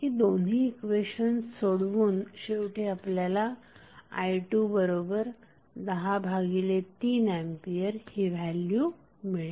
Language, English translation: Marathi, So, you can simply solve and finally you get the value of i 2 as 10 by 3 ampere